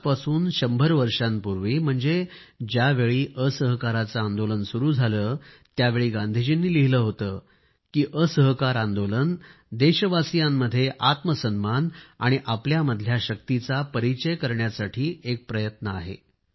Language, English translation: Marathi, A hundred years ago when the Noncooperation movement started, Gandhi ji had written "Noncooperation movement is an effort to make countrymen realise their selfrespect and their power"